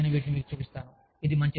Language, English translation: Telugu, So, i will just show these, to you